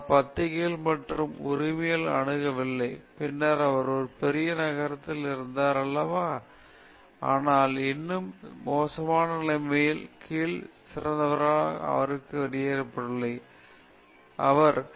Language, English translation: Tamil, He did not have access to journals and this right, and then, he was not in a big city and all that, but still under this adverse conditions the best science came out of him, you know, the best mathematics came out of him okay